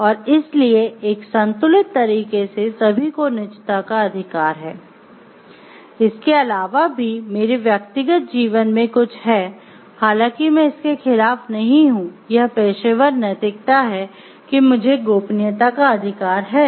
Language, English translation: Hindi, So, in a balanced way everyone has a right to privacy, and if it is not something my personal life if it is not going against or the professional ethics, then I do have to right to privacy